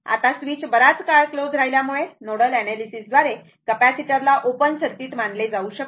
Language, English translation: Marathi, Now, as the switch remains closed for long time, capacitor can be considered to be an open circuit by nodal analysis